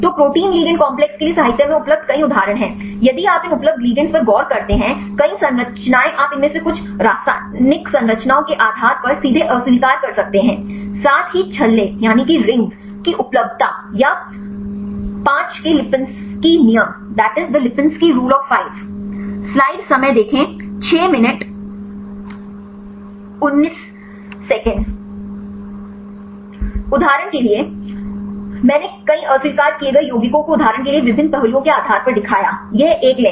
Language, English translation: Hindi, So, several examples available in literature for the protein ligand complexes, then if you look into these available ligands; many structures you can directly reject based on some of these chemical structures; as well as the availability of the rings or the lipinski rule of five